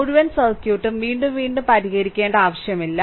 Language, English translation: Malayalam, So, no need to solve the whole circuit again and again